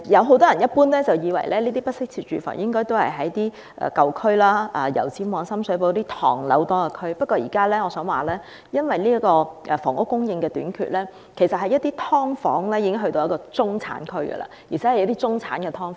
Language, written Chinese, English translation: Cantonese, 很多人也以為，不適切住房一般位於舊區，例如油尖旺或深水埗等唐樓林立的地區，但我想指出，由於房屋供應短缺，現時"劏房"已開始在中產區出現，就是一些中產"劏房"。, Many people assume that inadequate housing is generally located in the old districts such as Yau Tsim Mong or Sham Shui Po where tenement buildings stand in great number . But I wish to point out that due to the shortage of housing subdivided units have now started to appear in middle - class districts ie . middle - class subdivided units